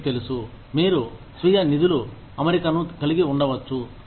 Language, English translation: Telugu, You know, you could have a self funding arrangement